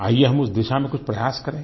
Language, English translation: Hindi, Come, let's make an endeavour in this direction